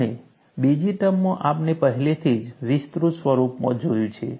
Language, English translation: Gujarati, And second term, we have already seen in an expanded form